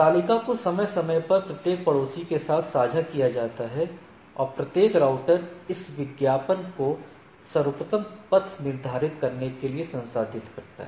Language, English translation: Hindi, The table is periodically advertised to each neighbor and each router processes this advertisement to determine the best paths